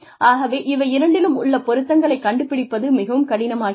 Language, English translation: Tamil, So, finding a match between these things, becomes difficult